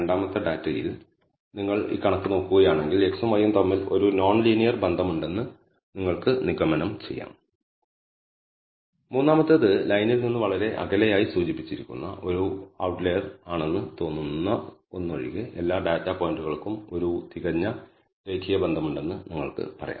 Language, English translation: Malayalam, In the second data if you look at this figure you can conclude that there is a non linear relationship between x and y and the third one you can say when there is a perfect linear relationship for all the data points except one which seems to be an outlier which is indicated be far away from that line